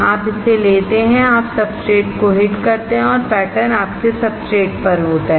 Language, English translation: Hindi, You take it, you hit the substrate and the pattern is there on your substrate